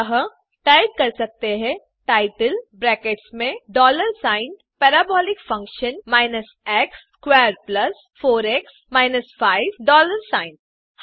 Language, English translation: Hindi, So you can type title within brackets dollar sign Parabolic function x squared plus 4x minus 5 dollar sign